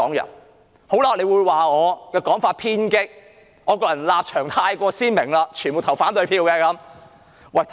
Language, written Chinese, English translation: Cantonese, 有些人會認為我的講法偏激，因為我的立場過於鮮明，只會投反對票。, Some people may consider my point radical for my stance is extremely definite and I will cast an opposition vote